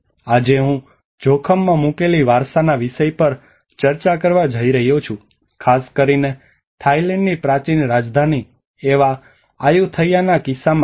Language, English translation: Gujarati, Today I am going to discuss on a topic of heritage at risk, especially with the case of Ayutthaya which is the ancient capital of kingdom of Thailand